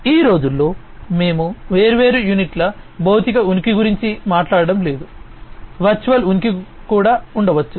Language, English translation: Telugu, So, nowadays we are not talking about physical presence of the different units, there could be virtual presence also